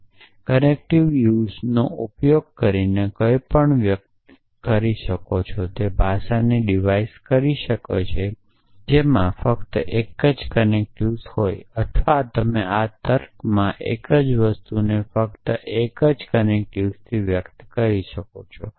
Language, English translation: Gujarati, So, express anything using those connective use can device a language in which there is only one connective NAND or only one connective nor or you can express the same thing in this logic with only one connective